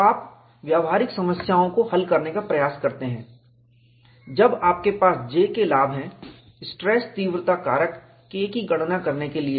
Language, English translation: Hindi, So, you can attempt to solve practical problems, when you have the advantage of J, for you to calculate the stress intensity factor K